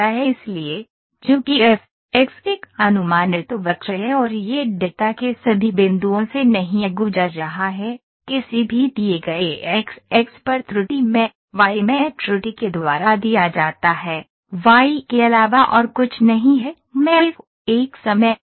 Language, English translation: Hindi, Since f is an approximate curve and not passing through all the points of data, the error at any given point xi, yi is given by ei is equal to yi minus a function of xi